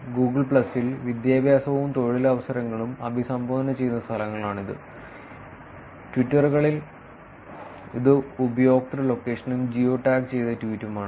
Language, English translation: Malayalam, In Google plus, it is places lived address education and employment; in Twitters, it is user location and geo tagged tweet